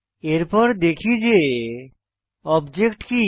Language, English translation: Bengali, Next, let us look at what an object is